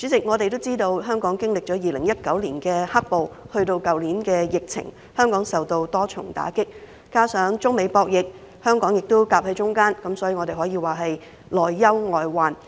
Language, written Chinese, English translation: Cantonese, 我們都知道，香港經歷了2019年的"黑暴"，去年又有疫情，飽受多重打擊；再加上中美博弈，香港夾在中間，可說是內憂外患。, As we all know Hong Kong suffered the double whammy of black - clad violence in 2019 and the epidemic last year . On top of internal troubles Hong Kong is externally caught between a rock and a hard place in the conflicts between China and the United States